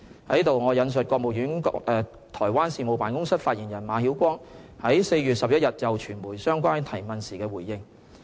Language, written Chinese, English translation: Cantonese, 在此，我引述國務院台灣事務辦公室發言人馬曉光，於4月11日就傳媒相關提問時的回應。, Let me quote Mr MA Xiaoguang spokesperson of the Taiwan Affairs Office of the State Council in his response on 11 April to media queries about the incident